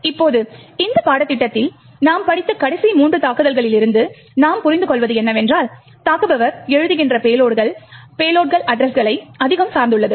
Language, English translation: Tamil, Now, from the last three attacks we have studied in this course what we do understand is that the payloads that the attacker writes, is highly dependent on the addresses